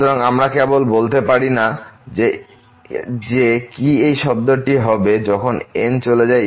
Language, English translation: Bengali, So, we cannot simply say that what will happen to this term when goes to infinity